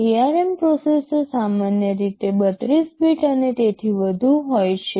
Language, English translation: Gujarati, But ARM processors are typically 32 bit and above